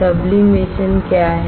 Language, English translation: Hindi, What is sublimation